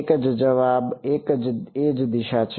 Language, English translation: Gujarati, One answer is same direction